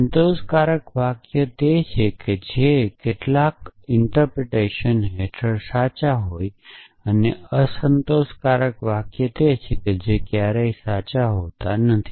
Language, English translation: Gujarati, Satisfiable sentences are those which are true under some interpretations and unsatisfiable sentences are those which are never true